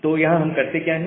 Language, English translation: Hindi, So, what we do here